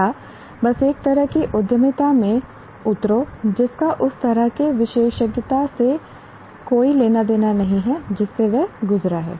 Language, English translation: Hindi, I'll just strictly get into a kind of entrepreneurship which has nothing to do with the kind of specialization that he has gone through